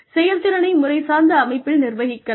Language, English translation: Tamil, The performance can be systematically managed